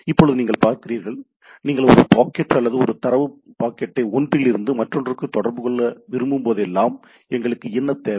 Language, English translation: Tamil, Now you see, whenever you want to communicate one packet or one data packet from one to another, what we require